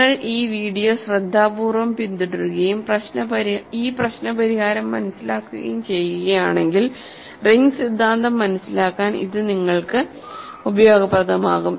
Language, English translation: Malayalam, So, if you carefully follow this video and understand this problem solution, it will be useful to you in understanding ring theory